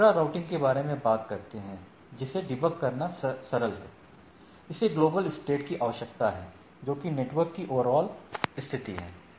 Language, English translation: Hindi, What we are talking about the intra routing, simpler to debug, requires global state, that overall state of the network